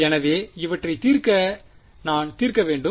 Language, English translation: Tamil, So, I have to solve for these to solve for